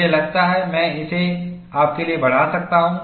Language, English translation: Hindi, And I think, I can magnify this for you